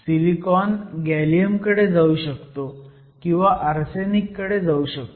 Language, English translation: Marathi, Silicon, we said silicon can go either to gallium or to arsenic